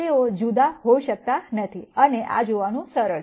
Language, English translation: Gujarati, They cannot be different and this is easy to see